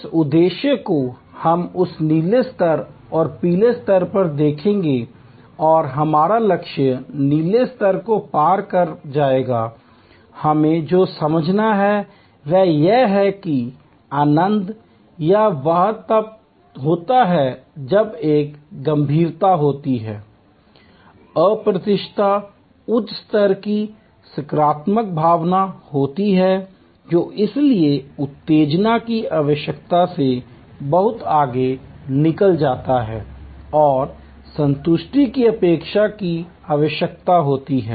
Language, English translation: Hindi, The objective which we will looked at that blue level and the yellow level and our target of exceeding the blue level, what we have to understand is that the delight or wow happens when there is an serendipity, there is unexpected high level of positive feeling which therefore, goes much beyond need arousal and need satisfaction expectation